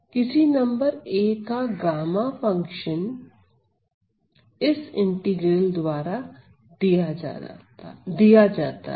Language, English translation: Hindi, The gamma function of any number a is given by this integral